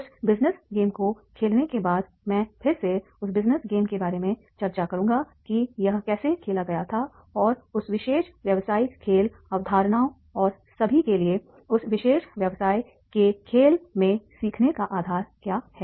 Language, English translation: Hindi, After that playing of the business game again I will discuss that business game how it was played and now what was the basis for that particular business game the concepts and all and what are the lessons of learning in that particular business game